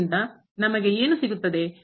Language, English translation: Kannada, So, what do we get then